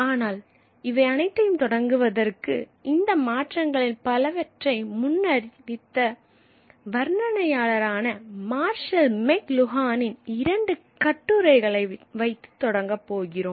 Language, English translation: Tamil, But to begin with, we are going to begin with two essays by Marshall McLuhan, the commentator who had foreseen many of these changes coming, these changes which we are now going through in the 21st century